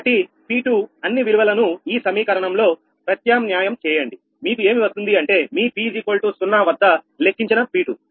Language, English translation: Telugu, so p two, substitute all the values in this equation, all the values, you will get your p two, its calculated at around p is equal to zero, initial thing